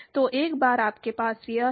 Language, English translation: Hindi, So, once you have this